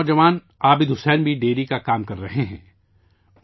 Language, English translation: Urdu, Another youth Abid Hussain is also doing dairy farming